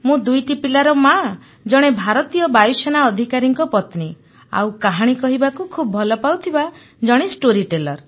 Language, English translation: Odia, I am a mother of two children, the wife of an Air Force Officer and a passionate storyteller sir